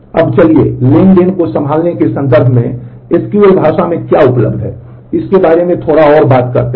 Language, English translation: Hindi, Now, let us move on and talk little bit about what is available in SQL language in terms of handling transactions